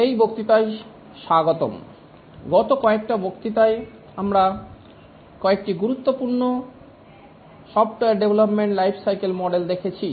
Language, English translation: Bengali, Welcome to this lecture over the last few lectures we had looked at a few important software development lifecycle models